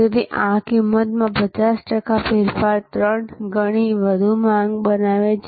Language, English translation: Gujarati, So, this is a 50 percent change in price creates 3 times more demand